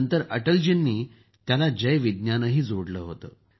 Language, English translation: Marathi, Later, Atal ji had also added Jai Vigyan to it